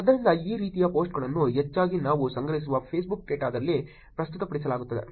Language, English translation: Kannada, So, these kinds of post are mostly presented in the Facebook data that we collect